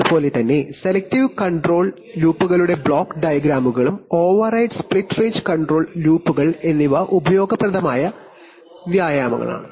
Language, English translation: Malayalam, Similarly block diagrams of selective control loops and override and split range control loops are useful exercises to be done